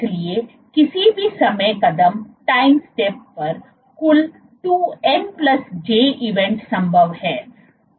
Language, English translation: Hindi, So, there are total of 2n+j events possible at any time step